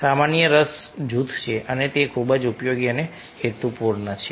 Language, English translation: Gujarati, so common interest group ah is there and its very, very useful and purposeful